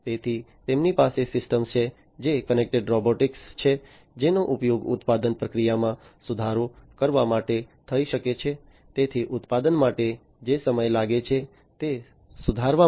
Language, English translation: Gujarati, So, they have systems, which are connected robots that can be used for improving the manufacturing process, so improving the time that it takes for manufacturing